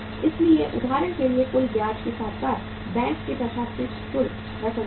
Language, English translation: Hindi, So for example the total interest plus the commission, administrative charges of the bank works out as 10,000 Rs